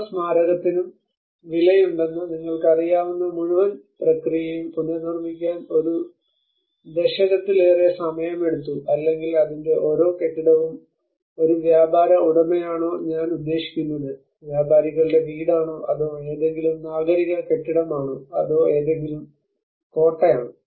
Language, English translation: Malayalam, And it took almost more than a decade to rebuild the whole process you know the each and every monument is worth or each and every building of its whether it is a merchants owner I mean merchants house or it is any civic building or it is any fort